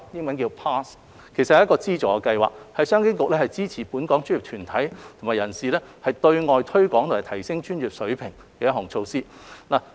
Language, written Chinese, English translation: Cantonese, 這其實是一個資助計劃，是商經局支持本港專業團體和人士對外推廣和提升專業水平的一項措施。, PASS is actually an initiative launched by CEDB to support local professional bodies and individual professionals in their outreaching and enhancement efforts through a funding scheme